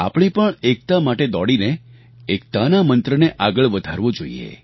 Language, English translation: Gujarati, We also have to run for unity in order to promote the mantra of unity